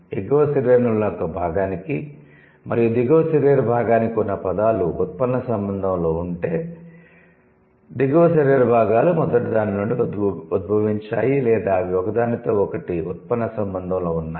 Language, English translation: Telugu, It says, if words for a part of the upper body and the part of the lower body are in derivational relationship, that means the lower body parts are derived from the first one or they are in a derivational relation with each other